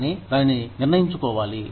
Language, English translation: Telugu, But, you have to decide that